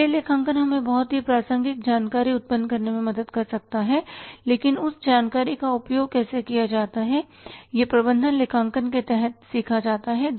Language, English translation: Hindi, Financial accounting can help us to generate very relevant information but how to make use of that information is learnt under the management accounting